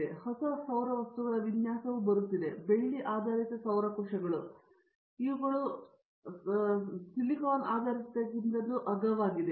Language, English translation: Kannada, So, the design of new solar materials is coming, silver based solar cells and such things are cheaper than this